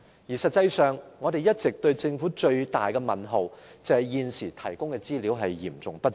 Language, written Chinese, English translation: Cantonese, 事實上，我們對政府一個最大的問號，就是它現時提供的資料嚴重不足。, Actually our biggest query is that the information the Government has provided so far is seriously inadequate . I am not going to talk about things in the past